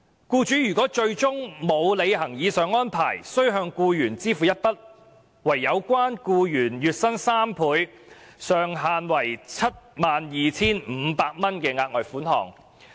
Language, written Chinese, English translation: Cantonese, 僱主若最終沒有履行上述命令，須向僱員支付一筆相等於有關僱員月薪3倍、上限為 72,500 元的額外款項。, In case the employer later fails to comply with the said order he will be required to pay the employee a further sum amounting to three times the employees average monthly wages subject to a ceiling of 72,500